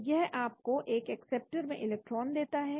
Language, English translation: Hindi, so it gives you the electron into the acceptor